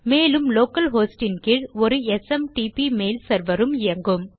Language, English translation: Tamil, And you will have a SMTP mail server running under local host